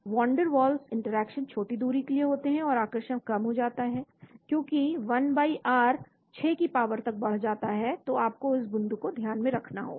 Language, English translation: Hindi, Van der waal interactions occur over a short distance, and the attraction decreases as 1/r raised to the power 6 , so you need to keep that point in mind